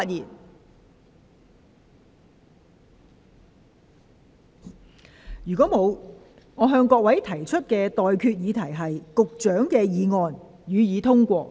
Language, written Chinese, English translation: Cantonese, 我現在向各位提出的待決議題是：發展局局長動議的議案，予以通過。, I now put the question to you and that is That the motion moved by the Secretary for Development be passed